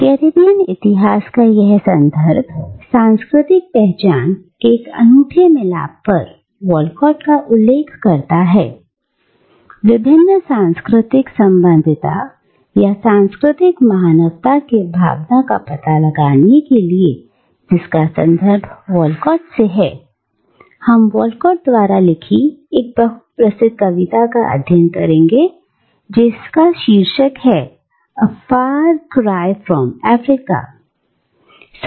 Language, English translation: Hindi, Now, this context of Caribbean history situates Walcott at a unique crossroad of cultural identities, and to explore the sense of multiple cultural belongingness, or cultural cosmopolitanism that this context opens up for Walcott, we will be looking at a very well known poem by him which is titled, ‘A Far Cry from Africa’